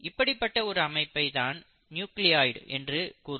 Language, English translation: Tamil, Such a structure is what you call as the nucleoid